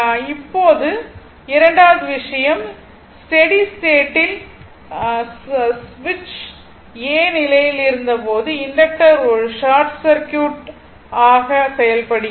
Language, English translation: Tamil, Now, second thing, when switch was in position a under steady state condition inductors act as a short circuit right